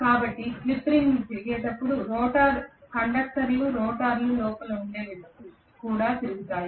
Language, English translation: Telugu, So when the slip rings rotate, the conductors also rotate which are within the rotor